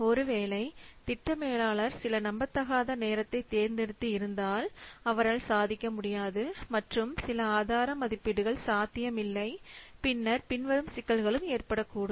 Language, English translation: Tamil, If the project manager committed some unrealistic times which he cannot achieve at all and some resource estimates which is not feasible at all, then the following problems might arise